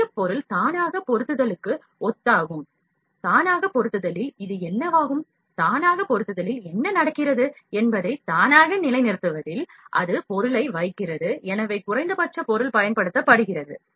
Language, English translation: Tamil, Center object is similar to auto positioning, in auto positioning what happens this is auto positioning, in auto positioning what happen, it place the object, so, as to the minimum material is used